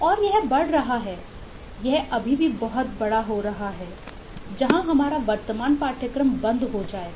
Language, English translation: Hindi, this is eh still getting much bigger than where our current course will stop